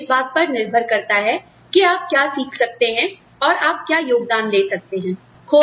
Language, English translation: Hindi, It just depends on, what you can learn, and what you can contribute